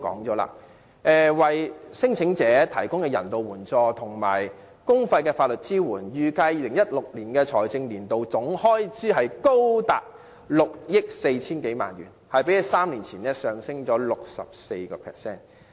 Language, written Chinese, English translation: Cantonese, 考慮到為聲請者提供人道援助及公費法律支援的開支，預計2016年財政年度的總開支高達6億 4,000 多萬元，較3年前上升 64%。, Taking into account the expenses on providing humanitarian assistance and publicly - funded legal assistance to the non - refoulement claimants it is estimated that the total expenditure for the fiscal year 2016 will be as high as 644 million an increase of 64 % over the previous three years